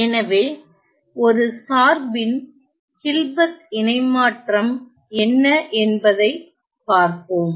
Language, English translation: Tamil, So, let us look at what is the Hilbert transform of a function